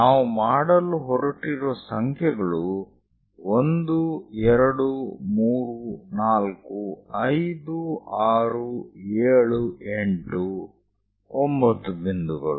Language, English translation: Kannada, So, the numbers what we are going to make is 1, 2, 3, 4, 5, 6, 7, 8, 9 points